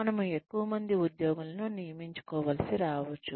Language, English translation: Telugu, , we might need to hire more employees